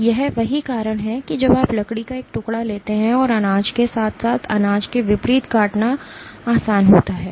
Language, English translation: Hindi, So, it is the same reason that when you take a chunk of wood it is easy to cut along the grain as opposed to perpendicular to the grain